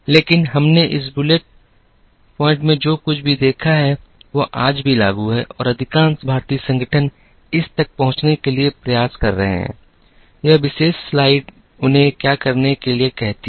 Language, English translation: Hindi, But, whatever we have seen in this bullet, is still applicable today and most Indian organizations are striving to reach, what this particular slide asks them to do